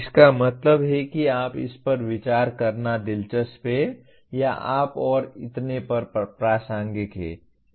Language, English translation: Hindi, That means you consider it is interesting or of relevance to you and so on